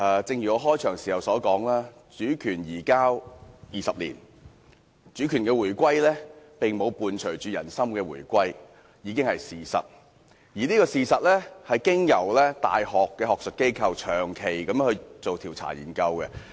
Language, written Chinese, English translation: Cantonese, 正如我開場時說，主權移交20年，主權回歸並沒有伴隨人心回歸，這是事實，而這事實有大學學術機構長期進行的調查研究支持。, As I said in my opening speech it has been 20 years since the handover of sovereignty but the return of sovereignty has not brought about the return of peoples hearts . This is a fact . And this fact is backed by a long - running survey or study conducted by an academic institution of a university